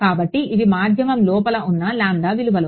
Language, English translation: Telugu, So, there are values of lambda which are inside the medium right